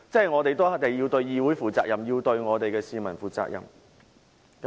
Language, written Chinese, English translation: Cantonese, 我們要對議會負責、對我們的市民負責。, We have to act responsibly for the legislature and the public